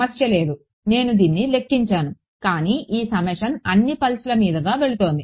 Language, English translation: Telugu, No problem I calculate this, but this summation goes over all the pulses